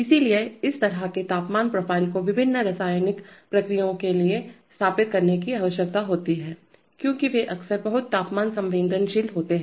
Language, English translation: Hindi, So such temperature profiles need to be set up for various chemical processes because they are often very temperature sensitive